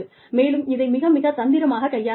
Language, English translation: Tamil, And, that has to be dealt with, very, very, tactfully